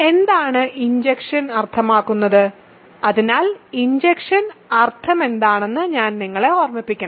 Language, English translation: Malayalam, So, what is injective mean, so I should probably remind you what is injective mean